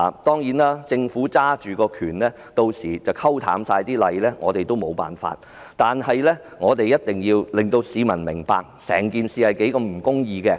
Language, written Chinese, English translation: Cantonese, 當然，政府屆時會以權力來淡化法例，對此我們也許無計可施，但我們一定要令市民明白整件事是多麼的不公義。, Certainly at that time the Government will dilute the laws with its powers and we may not be able to do anything about it . But we must make people realize the injustice of the entire incident